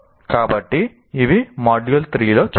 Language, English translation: Telugu, So these are the things that we will look at in module 3